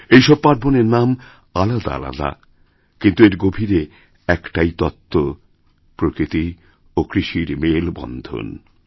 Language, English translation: Bengali, These festivals may have different names, but their origins stems from attachment to nature and agriculture